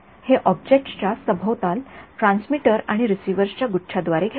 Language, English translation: Marathi, It surround this object by bunch of transmitters and a bunch of receivers